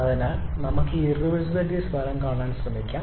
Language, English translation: Malayalam, So, let us try to see the effect of this irreversibilities